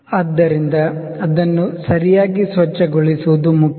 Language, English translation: Kannada, So, it is important to clean it properly